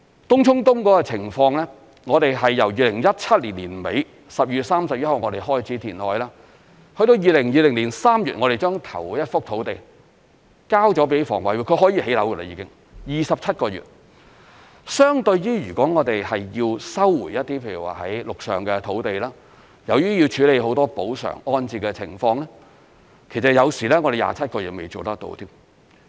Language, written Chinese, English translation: Cantonese, 東涌東填海工程的情況，我們由2017年12月31日開始填海，至2020年3月我們把第一幅土地交予香港房屋委員會，便是可建屋的土地，只需27個月，相對如要收回比如說陸上的土地，由於要處理很多補償安置的情況，有時27個月都未能完成。, In the Tung Chung East reclamation project we started the reclamation work back in 31 December 2017 and then handed over the first plot of land ready for housing construction to the Hong Kong Housing Authority in March 2020 . It has taken only 27 months time . Compared with the resumption of land it may sometimes take more than 27 months to undertake the numerous compensation and resettlement arrangements